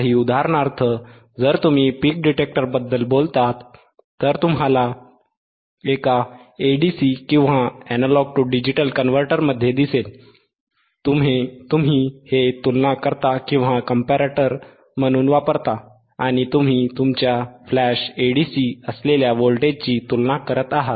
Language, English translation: Marathi, For example, if you talk about peak detector, you will seen in one of the one of the a ADCs, you to use this as comparator and you are comparing the voltages which is ayour flash Aa DC